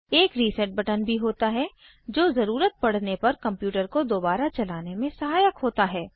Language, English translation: Hindi, There is a reset button, too, which helps us to restart the computer, if required